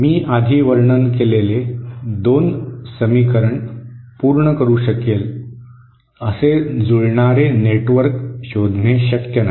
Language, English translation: Marathi, It is not possible to find a matching network which can satisfy the 2 equations that I described before